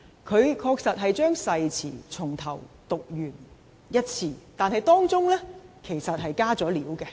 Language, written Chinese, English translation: Cantonese, 他確實把誓詞從頭讀完一次，但當中其實已"加料"。, He did read out the oath from beginning to end but additions were actually made thereto